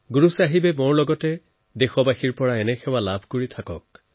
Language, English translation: Assamese, May Guru Sahib keep taking services from me and countrymen in the same manner